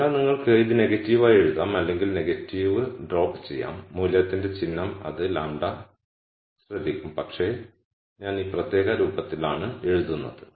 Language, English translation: Malayalam, So, you can write this as negative or drop the negative and the sign of the value lambda will take care of that, but I am writing in this particular form